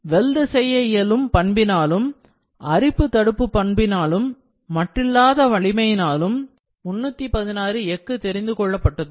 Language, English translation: Tamil, The 316 steel was selected because it is weldable, corrosion resistant and extremely strong